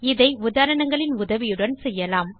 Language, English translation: Tamil, not We will do this with the help of examples